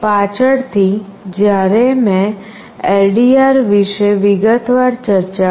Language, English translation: Gujarati, Later when I discussed about LDR in detail